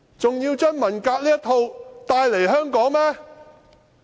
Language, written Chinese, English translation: Cantonese, 還要將文革這套帶來香港嗎？, Do we have to bring this form of cultural revolution mentality to Hong Kong?